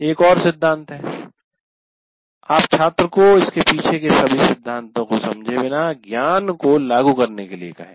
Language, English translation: Hindi, And sometimes there is also a principle you make the student apply the knowledge without understanding all the theory behind it